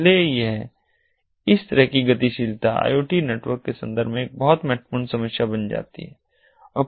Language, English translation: Hindi, so mobility like this becomes a very important problem in the context of iot networks